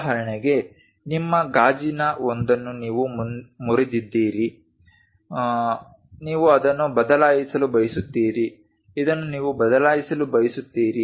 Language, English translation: Kannada, For example you broke your one of the glass, you would like to replace it this one you would like to replace it